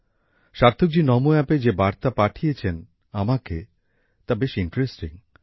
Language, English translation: Bengali, The message that Sarthak ji has written to me on Namo App is very interesting